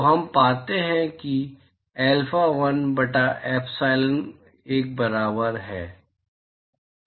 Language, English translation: Hindi, So, we find that alpha1 by epsilon1 equal to 1